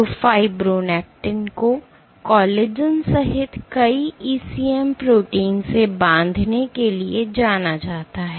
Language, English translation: Hindi, So, fibronectin is known to bind to multiple ECM proteins including collagen